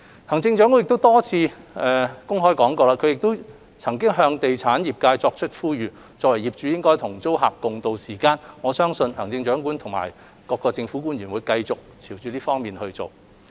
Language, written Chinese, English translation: Cantonese, 行政長官曾多次公開向地產業界作出呼籲，表明作為業主須與租客共渡時艱，我相信行政長官與各政府官員會繼續進行這方面的工作。, The Chief Executive has repeatedly mentioned in public that she has appealed to the real estate sector that as landlords they should ride out the difficult times with their tenants together . I believe that the Chief Executive and other government officials will continue the appeal in this respect